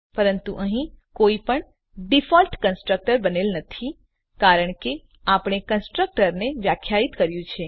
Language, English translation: Gujarati, But here no default constructor is created because we have defined a constructor